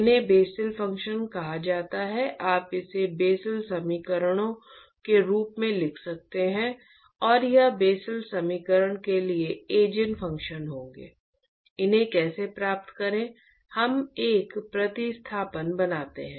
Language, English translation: Hindi, These are called as Bessel functions, you can write this in the form of Bessel equations and that will be the Eigen functions for the Bessel equation, how to get these we make a substitution very similar to what we did in the last lecture